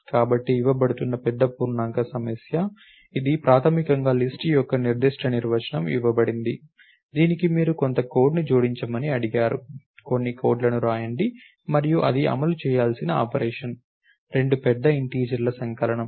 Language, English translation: Telugu, So, the big int problem that is being given, it is primarily a particular definition of list has been given to which you have been ask to add some code write some code and the operation that it is expected to perform is the sum of two large integers